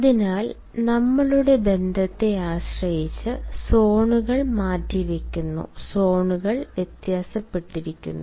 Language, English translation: Malayalam, hence, depending upon our relationship, the zones defer the zones vary